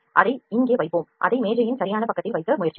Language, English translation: Tamil, Let us put it here and we will just like try to put it at the exact side of the table